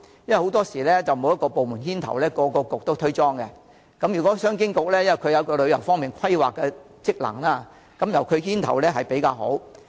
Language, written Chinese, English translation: Cantonese, 若沒有一個部門牽頭，各政策局會推卸責任，而商務及經濟發展局有旅遊規劃的職能，由該局牽頭會較好。, If there is no department to take the lead various Policy Bureaux will shirk their responsibilities . Since the Commerce and Economic Development Bureau is responsible for tourism planning it should naturally take the lead